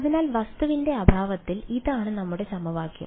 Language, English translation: Malayalam, So, this is our equation in the absence of object